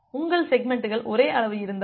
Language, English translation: Tamil, So, in case your segments are of same size